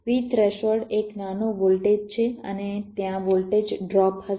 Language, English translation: Gujarati, v threshold is a small voltage and there will be a voltage drop